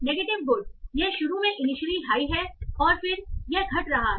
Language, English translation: Hindi, Negative good, it is high initially and then it is decreasing